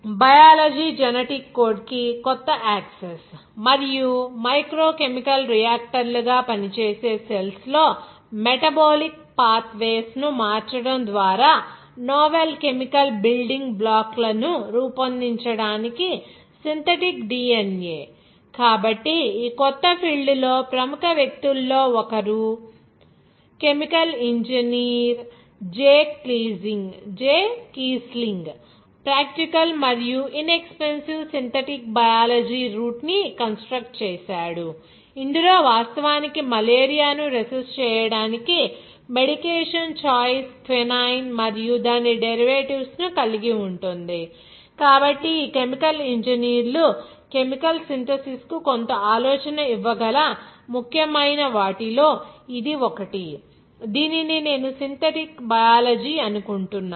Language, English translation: Telugu, Biology that employees the new access to the genetic code and that synthetic DNA to create novel chemical building blocks by changing the metabolic Pathways in cells within function as microchemical reactors, so one of the leading figures in this new field is chemical engineer Jay Keasling, he constructed a practical and inexpensive synthetic Biology root to admission in which is actually the medication choice for combating Malaria is resistant to quinine and its derivatives, so this is one of the important that filled where these chemical engineers can give some idea for the synthesis of Chemicals for this I think that synthetic biology of it